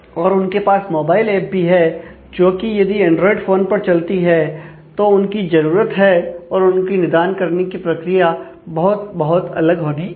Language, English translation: Hindi, And it is also having a mobile app, which runs on say the android phone then, the their requirements and their style of solutions will have to be very, very different